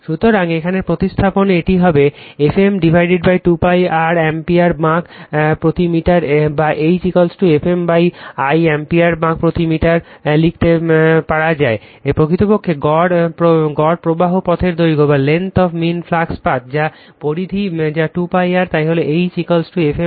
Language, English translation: Bengali, So, here you substitute, it will be F m upon 2 pi R ampere turns per meter or we can write H is equal to F m upon l ampere turns per meter that l is equal to actually length of the mean flux path that is that circumference that is you 2 pi R